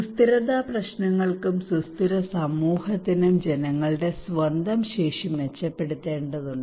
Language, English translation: Malayalam, Also for the sustainability issues, sustainable community we need to improve peoples own capacity